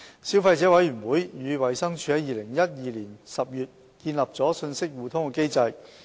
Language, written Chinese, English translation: Cantonese, 消費者委員會與衞生署在2012年10月建立了信息互通機制。, The Consumer Council has established an information exchange mechanism with the Department of Health DH since October 2012